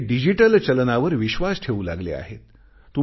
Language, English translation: Marathi, It has begun adopting digital currency